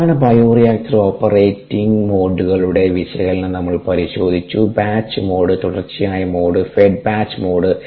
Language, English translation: Malayalam, and then in model three we looked at the analysis of common bioreactor operating modes: the batch mode, the continuous mode and the fed batch mode